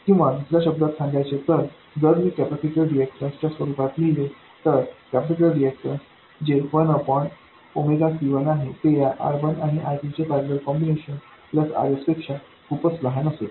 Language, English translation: Marathi, Or in other words if I write it in terms of the reactance of the capacitor I will have the reactance of the capacitor 1 by omega C1 much smaller than R1 parallel R2 plus RS